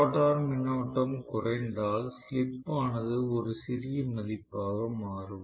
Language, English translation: Tamil, The rotor current will get decreased once; the slip becomes really really a small value